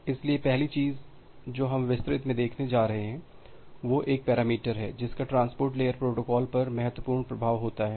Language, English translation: Hindi, So, the first things that we are going look into in details is a parameter which has significant impact over the transport layer protocol